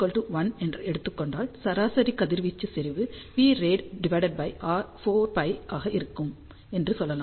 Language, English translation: Tamil, So, if we take r as 1, then we can say average radiation intensity will be p radiated divided by 4 pi